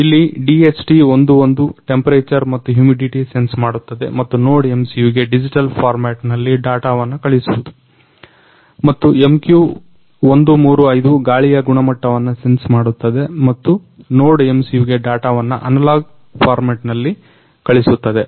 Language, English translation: Kannada, Here DHT11 is sensing temperature and humidity and sending the data in digital format to NodeMCU and MQ135 sensing air quality and sending the data in analogue format to NodeMCU